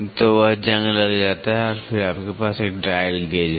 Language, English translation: Hindi, So, that rusts and then you have a dial gauge